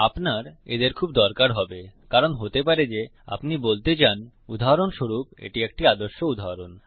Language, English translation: Bengali, You will find them very useful because you might want to say for example this is a very classic example